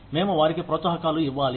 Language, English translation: Telugu, We need to give them incentives